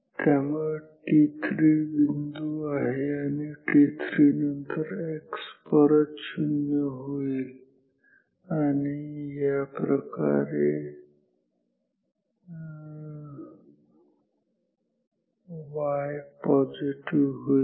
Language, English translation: Marathi, So, this is the point t 3 and after t 3 x becomes 0 again and y goes to positive like this